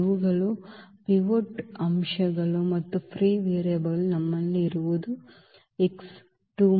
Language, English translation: Kannada, These are the pivot elements and the free variable we have only one that is here x 2